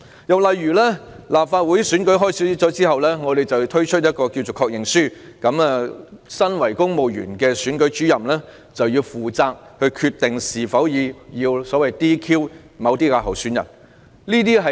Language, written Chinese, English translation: Cantonese, 又例如在立法會選舉開始後，政府推出所謂的"確認書"，由身為公務員的選舉主任決定是否要將某些候選人 "DQ"。, Another example is the Governments introduction of the Confirmation Form as it calls it after the inception of the latest Legislative Council election . Returning Officers who are also civil servants are vested with the decision to disqualify certain candidates or not